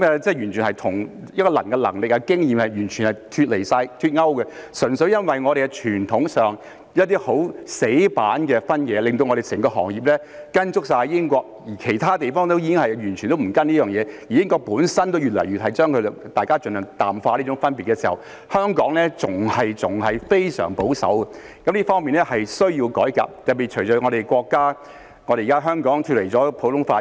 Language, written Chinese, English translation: Cantonese, 這完全與一個人的能力和經驗脫勾，純粹由於我們在傳統上有一些死板的分野，令我們整個行業完全跟隨英國，而其他地方已經不跟隨這做法，英國本身亦已越來越淡化這種分別時，香港仍然非常保守，這方面是需要改革的，特別是隨着香港現在脫離了普通法......, Given some rigid distinctions in our tradition our whole profession has followed the British approach . While other places have already stopped following this approach and the United Kingdom has increasingly toned down such a difference Hong Kong is still very conservative . This warrants reform especially since Hong Kong has now departed from the common law sorry it has departed from the British colonial system gone further and further away from it and started to have increasing contact with the Mainland system